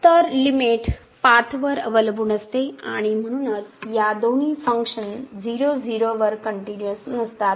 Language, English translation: Marathi, So, the limit depends on the path and hence these two are not continuous at 0 0